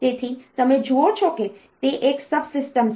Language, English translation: Gujarati, So, you see that it is a subsystem